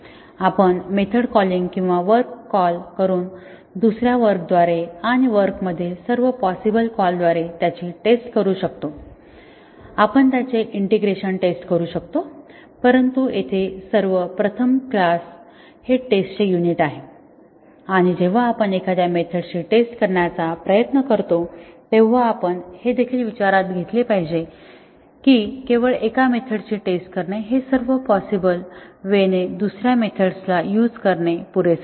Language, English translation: Marathi, We could test it by method calling or a function calling another function and all possible calls among the functions, we could test their integration, but here first of all, a class is a unit of testing and when we try to test a method invoking other methods, we must also consider that just testing a method all possible ways another method can be invoked is not enough